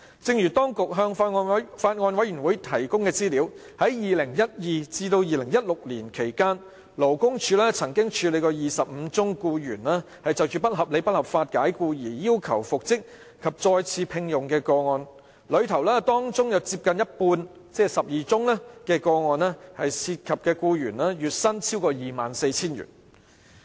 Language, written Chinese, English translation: Cantonese, 正如當局向法案委員會提供的資料顯示，在2012年至2016年期間，勞工處曾處理25宗僱員就不合理及不合法解僱而要求復職及再次聘用的個案，當中接近一半個案涉及的僱員月薪超過 24,000 元。, As indicated in the information provided by the Government to the Bills Committee of the 25 cases of unreasonable and unlawful dismissal handled by the Labour Department between 2012 to 2016 in which the employees requested reinstatement and re - engagement employees involved in almost half ie . 12 of these cases received monthly wages of over 24,000